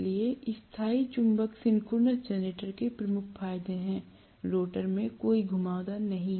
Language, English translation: Hindi, So, Permanent Magnet Synchronous Generators have one of the major advantages, no winding in the rotor